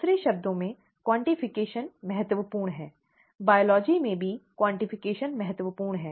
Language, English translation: Hindi, In other words, quantification is important; quantification is important in biology also